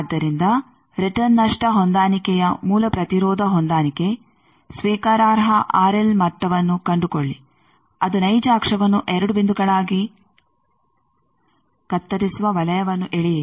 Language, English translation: Kannada, So, this is called return loss limitation So, impedance matching by return loss adjustment, find acceptable R l level draw the circle it cuts real axis as 2 points